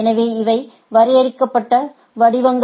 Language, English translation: Tamil, So, these are defined formats